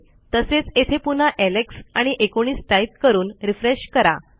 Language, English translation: Marathi, I can change this again to Alex, 19 and refresh